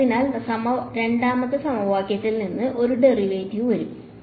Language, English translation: Malayalam, So, one derivative will come from the second equation